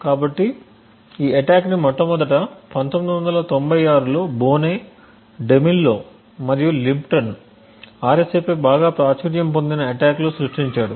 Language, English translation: Telugu, So this attack was first conceived in 1996 by Boneh, Demillo and Lipton in a very popular attack on RSA